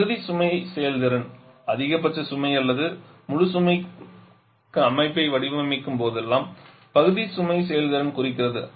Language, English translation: Tamil, Part Load performance; part load performance refers to whenever we design a system design for the maximum load at full load